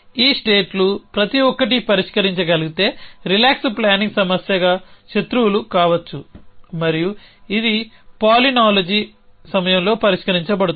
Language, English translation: Telugu, So if each of the, these states can be solve can be foes as a relax planning problem and it can be solve in palynology time